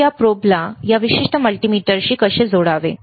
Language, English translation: Marathi, So, how to connect this probe to this particular multimeter, all right